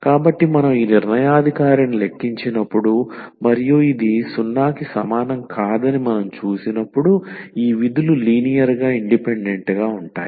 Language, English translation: Telugu, So, when we compute this determinant and we see that this is not equal to 0, then these functions are linearly independent